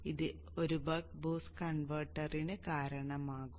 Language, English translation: Malayalam, So this is how the buck boost converter operates